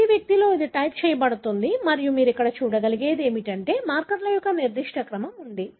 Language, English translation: Telugu, In every individual it is then typed and what you can see here is that there is a particular order of the markers